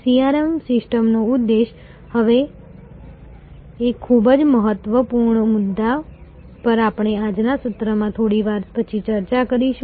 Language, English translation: Gujarati, The objective of a CRM system, now a very important point we will discuss it again a little later in today's session